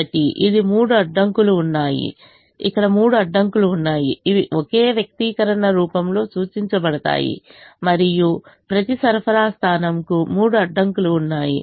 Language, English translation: Telugu, so there are three constraints here which are represented in the form of a single expression, and there are three constraints for each one, each for each of the supply points